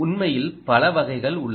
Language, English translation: Tamil, in fact there are many ah types